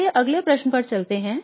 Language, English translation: Hindi, Let's move on to the next question